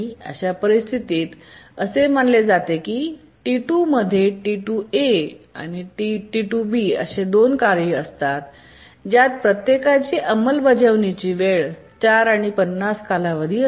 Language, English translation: Marathi, In that case, what we do is we consider that T2 consists of two tasks, T2A and T2B, each one having execution time 4 and period of 50